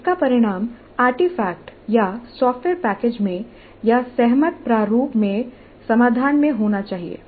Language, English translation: Hindi, It must result in an artifact or in a software package or in a solution in agreed upon format